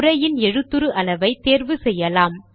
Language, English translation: Tamil, Let us choose the size of the text